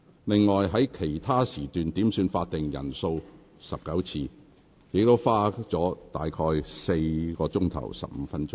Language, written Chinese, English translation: Cantonese, 另外，在其他時段點算法定人數19次，亦花了近4小時15分鐘。, Besides 19 headcounts were also made in other sessions of the meeting taking up about 4 hours and 15 minutes